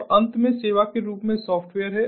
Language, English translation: Hindi, and, finally, the software is a service